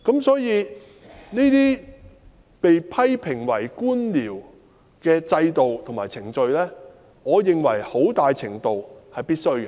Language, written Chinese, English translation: Cantonese, 所以，這些被批評為官僚的制度和程序，我認為很大程度上是必需的。, Therefore I hold that to a large extent these systems and procedures are necessary despite being criticized as bureaucratic